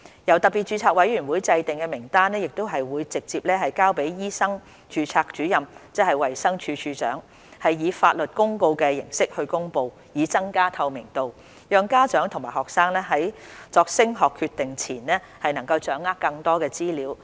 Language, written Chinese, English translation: Cantonese, 由特別註冊委員會制訂的名單會直接交予醫生註冊主任，即衞生署署長，以法律公告形式公布，以增加透明度，讓家長和學生在作升學決定前能夠掌握更多資料。, The list of recognized medical qualifications determined by SRC will be submitted to the Registrar of Medical Practitioners ie . DoH direct for promulgation by legal notice to enhance transparency so that parents and students can get more information before making decision on further studies